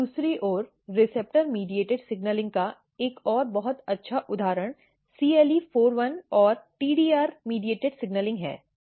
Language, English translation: Hindi, On the other hand, another very good example of receptor mediated signaling is CLE41 and TDR mediated signaling